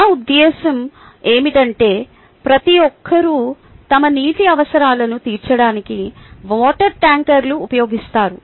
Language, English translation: Telugu, everybody uses water tankers to fulfill their water needs